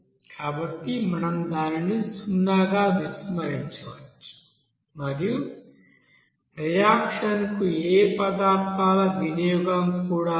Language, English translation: Telugu, So we can neglect it as zero and also there is no consumption of this you know any materials for reaction